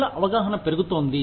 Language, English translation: Telugu, People are more aware